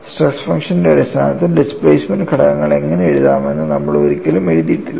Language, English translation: Malayalam, But we never wrote how to write the displacement components in terms of stress function that is the difference